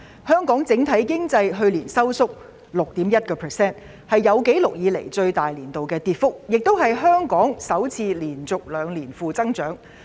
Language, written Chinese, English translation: Cantonese, 香港整體經濟去年收縮 6.1%， 是有紀錄以來最大的年度跌幅，也是香港首次連續兩年出現經濟負增長。, Last year Hong Kongs overall economy contracted by 6.1 % the largest annual decline on record . It was also the first time that Hong Kong had experienced negative economic growth for two consecutive years